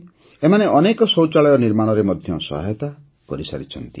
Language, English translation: Odia, It has also helped in the construction of many toilets